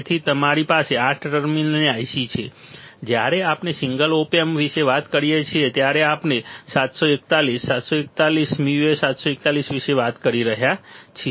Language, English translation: Gujarati, So, we have 8 terminal IC we have a terminal IC when we talk about single op amp when we talk about 741, 741 u A, 741 right